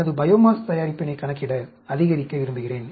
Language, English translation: Tamil, I want to calculate, maximize, my biomass production